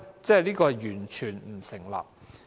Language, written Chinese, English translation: Cantonese, 這是完全不成立。, It is totally unfounded